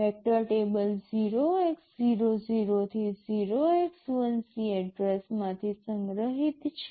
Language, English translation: Gujarati, The vector table is stored from address 0x00 to 0x1c